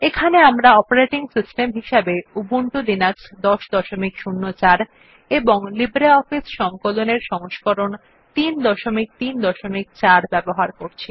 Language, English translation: Bengali, Here we are using Ubuntu Linux version 10.04 and LibreOffice Suite version 3.3.4